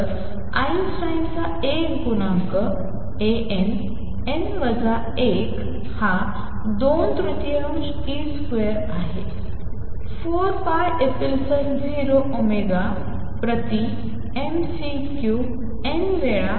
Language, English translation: Marathi, So, the Einstein’s A coefficient A n, n minus 1 is this 2 thirds e square over 4 pi epsilon 0 omega over m C cubed times n